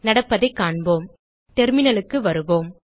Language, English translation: Tamil, Let us see what happens Come back to the terminal